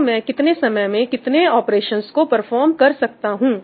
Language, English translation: Hindi, So, how many operations am I able to perform, in how much time